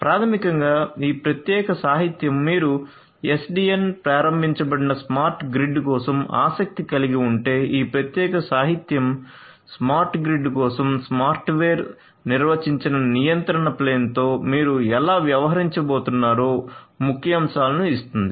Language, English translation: Telugu, So, basically this particular literature in case you are interested for SDN enabled you know smart grid this particular literature will give you the highlights of how you are going to deal with the software defined control plane for the smart grid